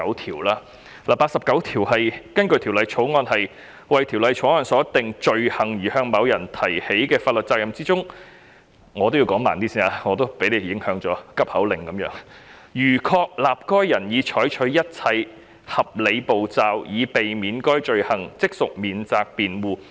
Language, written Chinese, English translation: Cantonese, 《條例草案》第89條訂明：在為《條例草案》所訂罪行而向某人提起的法律程序中——我也被局長所影響，說話如急口令般，我應減慢語速——如確立該人已採取一切合理步驟，以避免犯該罪行，即屬免責辯護。, Clause 89 of the Bill provides that In any legal proceedings against a person for an offence under the Bill―I was talking as if I were reciting a tongue twister under the impact of the Secretary; I should slow down my speech―it is a defence to establish that the person has taken all reasonable steps to avoid committing the offence